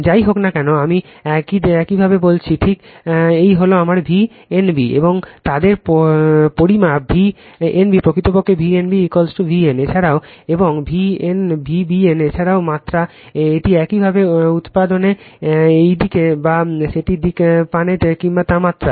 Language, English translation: Bengali, whatever I told you just this is my V n b and their magnitude V n b actually magnitude V n b is equal to V p, V n also V p and V b n also magnitude V p right this is magnitude whether you get this direction or that direction in material